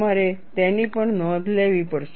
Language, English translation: Gujarati, We will also have to note that